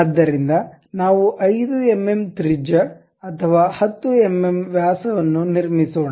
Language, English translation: Kannada, So, let us construct a 5 mm radius or 10 mm diameter